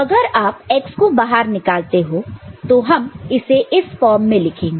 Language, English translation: Hindi, So, if you are taking out x right, if you are taking out x, and we would like to write it in this form